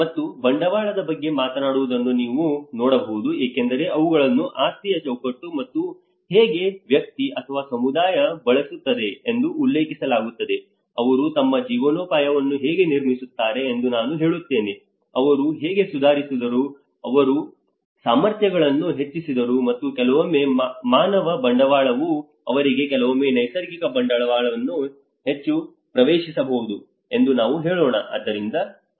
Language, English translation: Kannada, And you can see that it talks about the capital because they are referred as an asset framework as well and how the individual or a community, how they use, they, I would say like how they construct their livelihoods you know how they improved, enhance their capacities and because sometimes let us say the human capital is more accessible for them sometimes the natural capital